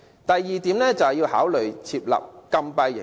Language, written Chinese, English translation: Cantonese, 第二點，考慮設立禁閉營。, Second consider the establishment of closed camps